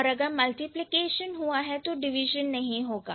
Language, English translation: Hindi, They have multiplication but no division